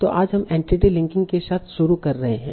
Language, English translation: Hindi, So today we are starting with entity linking